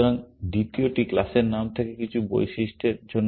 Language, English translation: Bengali, So, the second one is for some attribute from the class name